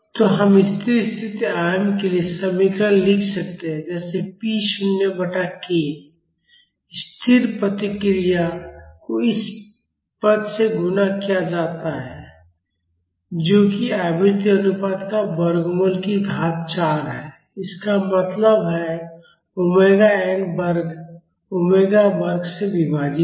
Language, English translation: Hindi, So, we can write the expression for the steady state amplitude as p naught by k, the static response multiplied by this term that is square root of frequency ratio to the power 4; that means, omega n square divided by omega square